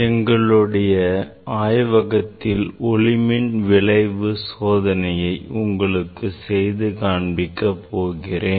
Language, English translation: Tamil, now we will demonstrate the photoelectric effect that experiment in our laboratory